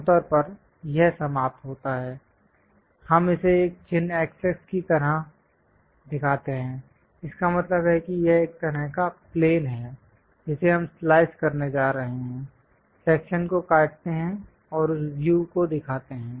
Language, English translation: Hindi, Usually, it ends, we show it something like a mark x x; that means it is a kind of plane which we are going to slice it, cut the section and show that view